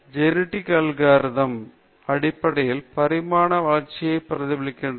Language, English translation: Tamil, Genetic algorithm basically mimics the process of evolution